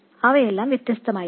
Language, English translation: Malayalam, These will all be different